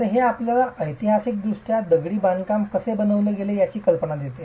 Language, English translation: Marathi, So this gives you an idea of how historically masonry was constructed